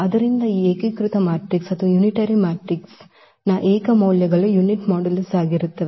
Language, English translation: Kannada, So this unitary matrix the eigenvalues of the unitary matrix are of unit modulus